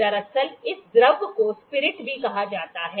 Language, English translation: Hindi, Actually this fluid, fluid is also known as spirit